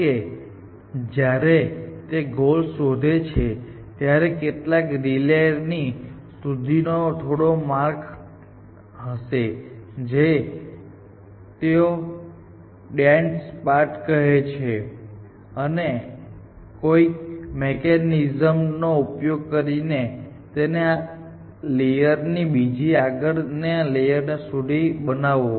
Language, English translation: Gujarati, At some point, when it finds the goal it would have some path up to some relay layer which they call as a dense path and from this layer to another layer by a mechanism